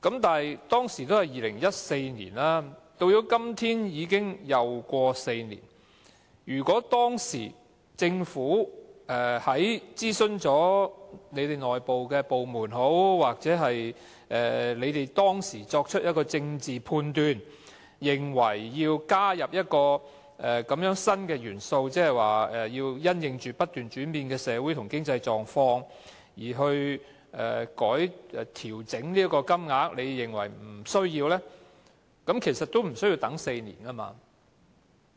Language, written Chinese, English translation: Cantonese, 但是，當年只是2014年，到了今天，已過了4年，如果政府當時經諮詢內部部門或當時作出的政治判斷，認為要加入這個新元素，即因應"本港不斷轉變的社會和經濟狀況"而調整金額，之後又認為沒有需要，其實也不用等4年的。, In this way an adjustment of the sum was shelved yet again . But it was 2014 and four years have since passed . It would have taken as long as four years even if the Government somehow decided against its initial idea of including this new factor the changing social and economic conditions of Hong Kong after internal consultation or because of its political judgment